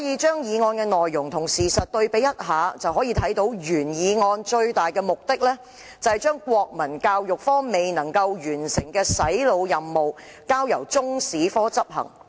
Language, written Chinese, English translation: Cantonese, 將議案內容和現實情況對比一下，便會發現原議案最大的目的，是要將國民教育科未能完成的"洗腦"任務，交由中史科執行。, However a comparison between the content of the motion and the actual situation will reveal that the biggest objective of the original motion is to have Chinese History take over the brainwashing mission that the Moral and National Education had failed to accomplish